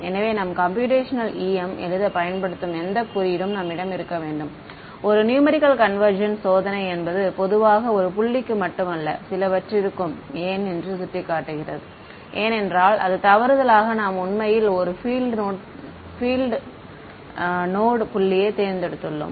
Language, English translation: Tamil, So, any code that you write in computational em, you should have done one numerical convergence test and typically not just for one point, but for a few points why because it could happen that by mistake you chose a point which is actually a field node